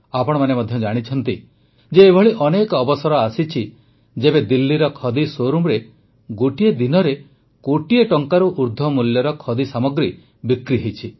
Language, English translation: Odia, You too know that there were many such occasions when business of more than a crore rupees has been transacted in the khadi showroom in Delhi